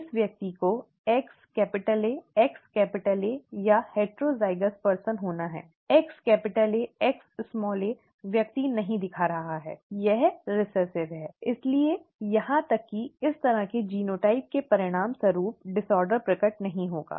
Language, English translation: Hindi, This person has to be X capital A, X capital A or a heterozygous person, X capital A, X small A, the person is not showing, it is recessive therefore even this kind of a genotype will not result in the disorder being manifest